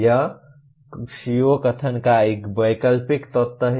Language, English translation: Hindi, This is an optional element of a CO statement